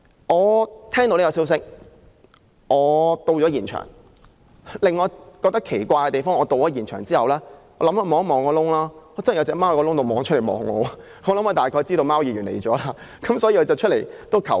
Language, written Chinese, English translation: Cantonese, 我聽聞這個消息後到了現場，當我看看洞口，真奇怪，果然看到一隻貓從洞口望向我，牠大概知道"貓議員"來了，所以才現身求救。, I saw a cat staring at me from inside of the cave when I tried to look into the cave . Maybe it just showed itself up to seek help because it knew that the Councillor for Cats had come